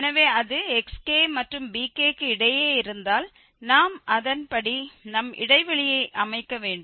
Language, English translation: Tamil, So, if is, if it is between xk and bk we will set our interval accordingly